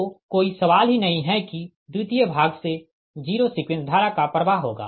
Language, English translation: Hindi, so there is no question of yours, secondary side, zero sequence current will flow